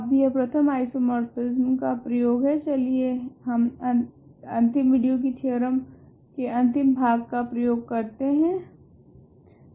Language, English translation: Hindi, Now that is one application first isomorphism theorem let us apply the last part of the theorem from last video